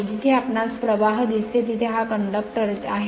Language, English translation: Marathi, Wherever you see the current this conductor are there